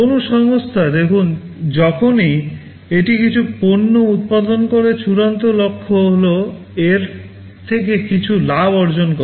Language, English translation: Bengali, See a company whenever it manufactures some products the ultimate goal will be to generate some profit out of it